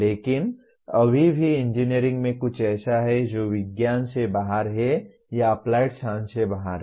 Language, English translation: Hindi, But still something in engineering that is outside science or outside applied science does exist